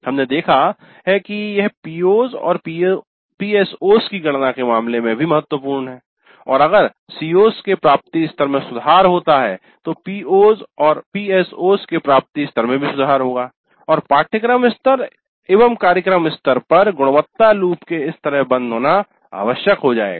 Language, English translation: Hindi, And we have seen that this is also important in terms of computing the POs and PSOs and if there is an improvement in the attainment level of the COs, the attainment levels of the POs and PSOs also will improve and this kind of closer of the quality loop at the course level and at the program level is essential